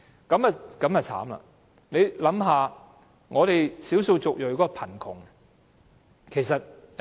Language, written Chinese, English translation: Cantonese, 這便慘了，大家也想象到少數族裔的貧窮情況。, Members can thus imagine the situation of the ethnic minorities living in poverty